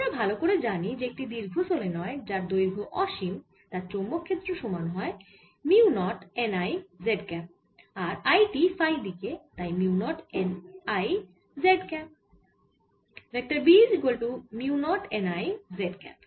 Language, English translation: Bengali, so we very well know that for long solenoid, infinitely long solenoid, magnetic field is given as mu naught n i z cap that i is in phi direction, so mu naught n i z cap